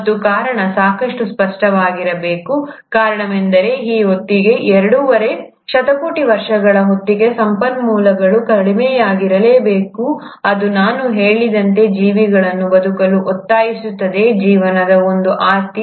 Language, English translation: Kannada, And the reason must have been pretty evident, the reason being that by this time, by the time of two and a half billion years, resources must have become lesser, it would have compelled the organisms to survive as I said, one property of life is to survive